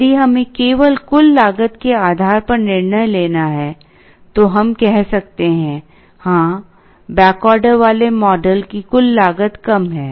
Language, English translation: Hindi, If we have to make a decision only based on the total cost, then we might say, yes, the model with back ordering has lesser total cost